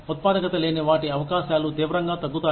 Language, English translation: Telugu, The chances of them, being unproductive, go down drastically